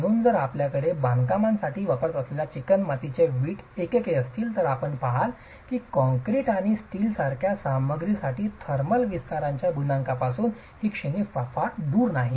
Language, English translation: Marathi, So, if you have clay brick units that you are using for construction, you see that the range is not too far from the coefficient of thermal expansion for material like concrete and steel